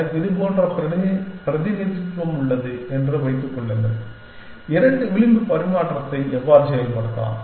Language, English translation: Tamil, Supposing, I have representation like this, how can I implement two edge exchange